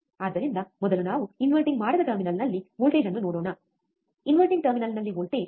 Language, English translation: Kannada, So, let us first see voltage at non inverting terminal, voltage at the inverting terminal 0